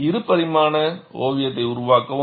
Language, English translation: Tamil, Make a two dimensional sketch